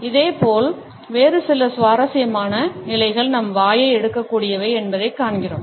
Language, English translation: Tamil, Similarly, we find that there are some other interesting positions which our mouth is capable of taking